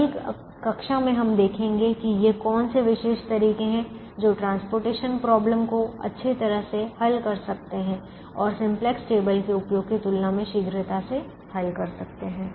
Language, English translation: Hindi, in the next class we will look at what are these special methods which can solve the transportation problem nicely and solve it fast, faster than perhaps solving it using the simplex table